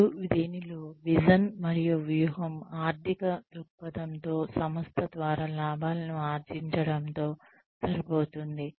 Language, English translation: Telugu, And in this, the vision and strategy is aligned with, the financial perspective, with the profits being generated, by the organization